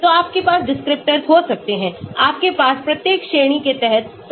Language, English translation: Hindi, so you can have descriptors, you can have sub descriptors under each category also